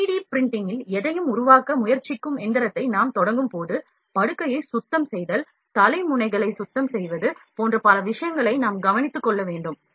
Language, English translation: Tamil, When we start machining that is try to fabricate anything on 3D printing, we have to take care of number of things like cleaning of bed, cleaning of head nozzles